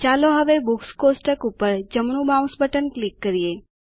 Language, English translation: Gujarati, Let us now right click on the Books table